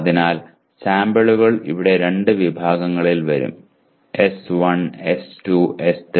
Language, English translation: Malayalam, So the samples will come under two categories here; S1, S2, S3